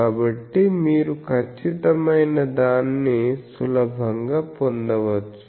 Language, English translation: Telugu, So, you can easily get the exact one